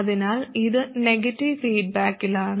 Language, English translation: Malayalam, So it is in negative feedback